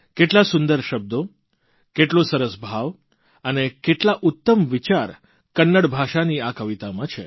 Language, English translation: Gujarati, You will notice the beauty of word, sentiment and thought in this poem in Kannada